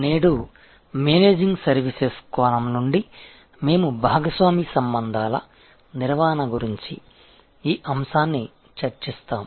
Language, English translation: Telugu, Today, from the Managing Services perspective, we will be discussing this topic about Managing Partner Relationships